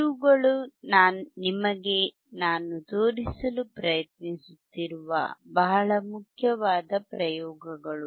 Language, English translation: Kannada, These are very important experiments that I am trying to show it to you